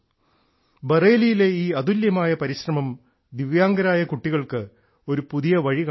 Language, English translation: Malayalam, This unique effort in Bareilly is showing a new path to the Divyang children